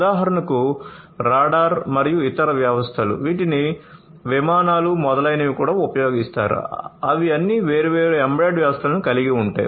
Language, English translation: Telugu, For example, the radar and different other you know systems that are used even the aircrafts etcetera; they are all having different embedded systems in them